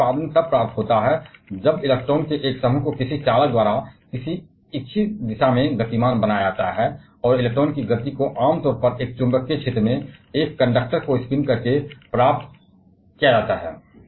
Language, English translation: Hindi, The electricity production is achieved when a group of electron is availed to move through a conductor by some, at some desire direction, and that movement of electron is generally achieved by spinning a conductor in a magnetic field